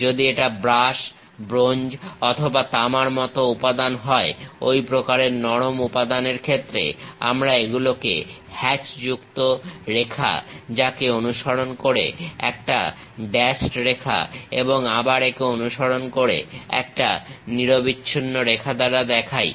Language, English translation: Bengali, If it is something like brass, bronze or copper material, this kind of soft materials; we show it by a hatched line followed by a dashed line, again followed by a continuous line